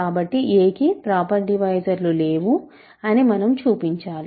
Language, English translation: Telugu, So, we have to show that a has no proper divisors